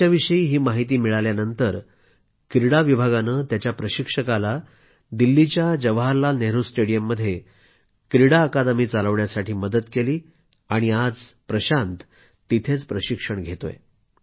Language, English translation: Marathi, After knowing this amazing fact, the Sports Department helped his coach to run the academy at Jawaharlal Nehru Stadium, Delhi and today Prashant is being coached there